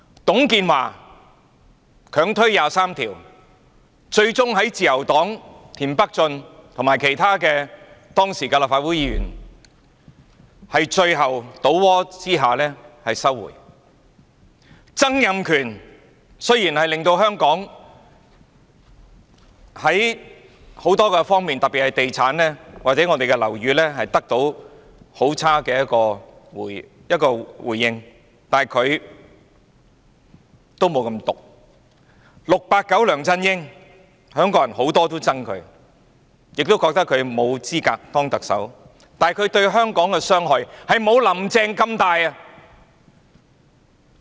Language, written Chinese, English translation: Cantonese, 董建華強推《基本法》第二十三條立法，最終在自由黨田北俊和其他時任立法會議員最後倒戈之下收回；曾蔭權雖然令香港在多方面，特別是在地產或樓宇方面得到很差的結果，但他也沒有這麼毒 ；"689" 梁振英是很多香港人也憎恨的，亦認為他沒有資格當特首，但他對香港的傷害也不及"林鄭"那麼大。, TUNG Chee - hwa insisted on enacting legislation on Article 23 of the Basic Law and finally withdrew it as a result of James TIEN of the Liberal Party and other Members of the Legislative Council at the time eventually changing side . As for Donald TSANG although his policies had produced very bad results for Hong Kong in various aspects especially in real estate development or housing he is not as vicious as she is . 689 LEUNG Chun - ying is abhorrent in the eyes of many Hongkongers and he was likewise considered unbecoming of the office of Chief Executive but the harms done by him on Hong Kong are not as severe as those inflicted by Carrie LAM